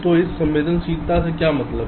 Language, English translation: Hindi, so what do we mean by sensitizable